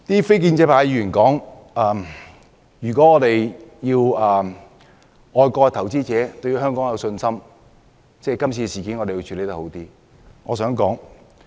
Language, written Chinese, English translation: Cantonese, 非建制派議員指出，如果要外國投資者對香港有信心，我們便要更好地處理這次事件。, Non - establishment Members pointed out that if we want foreign investors to have confidence in Hong Kong we have to handle this incident better